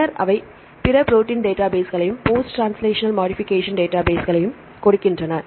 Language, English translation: Tamil, Then they give other protein databases and the post translational modification database and so on right